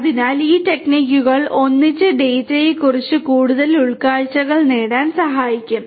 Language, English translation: Malayalam, So, these techniques together can help in getting more insights about the data